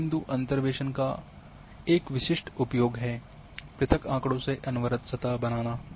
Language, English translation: Hindi, A typical use of a point interpolation is to create to surface from discrete data to a continuous surface